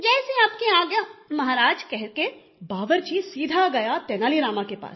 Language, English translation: Hindi, " "As you order Maharaja," saying this the cook went straight to Tenali Rama